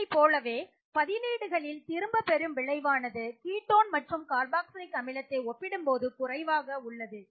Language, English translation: Tamil, Similarly, you can see for these substituents that the withdrawing effect has also reduced in the case of the ketone and the carboxylic acid